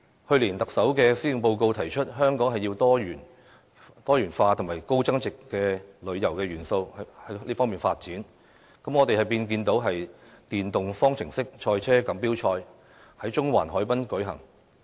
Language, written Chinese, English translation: Cantonese, 去年，特首在施政報告提出香港的旅遊業要朝"多元化"和"高增值"方向發展，於是我們便看到"電動方程式賽車錦標賽"在中環海濱舉行。, Last year the Chief Executive suggested in his Policy Address that Hong Kongs tourism industry should move towards diversified and high value - added development and that is why the Formula E Championship took place in Central Harbourfront area